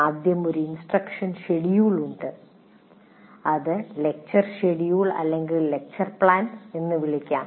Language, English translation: Malayalam, First thing is there is an instruction schedule and which can be called as lecture schedule or lecture plan, whatever you have